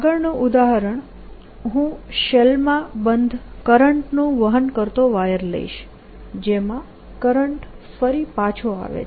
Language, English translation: Gujarati, next example: i will take a current carrying wire enclosed in a shell through which the current comes back